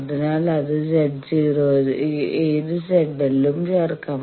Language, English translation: Malayalam, So, any Z L can be put to any Z naught